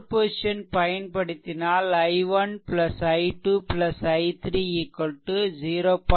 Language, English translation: Tamil, If you apply a super position, i 1 plus i 2 plus i 3 it be 0